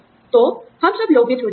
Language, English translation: Hindi, So, we all get tempted